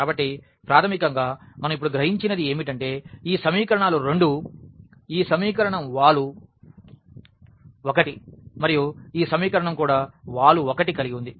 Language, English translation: Telugu, So, basically what we realize now because both the equations this equation has slope 1 and this equation also have has slope 1